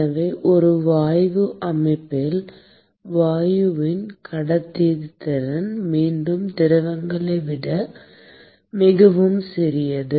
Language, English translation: Tamil, So, in a gas system, the conductivity of gas is once again much smaller than the liquids